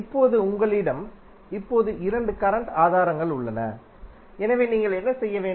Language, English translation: Tamil, Now, you have now two current sources, so what you have to do